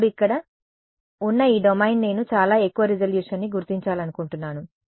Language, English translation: Telugu, Now this domain over here I am going to I want to determine to a very high resolution right